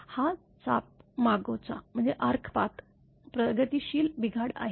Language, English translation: Marathi, It is a progressive breakdown of the arc path